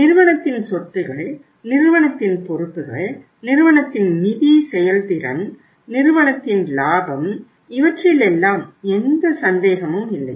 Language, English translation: Tamil, Assets of the company, liabilities of the company, financial performance of the company, profitability of the company, there is no doubt about that